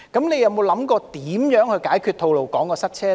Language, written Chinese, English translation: Cantonese, 你有否想過如何解決吐露港的塞車問題？, Have you thought about how to solve traffic congestion on the Tolo Highway?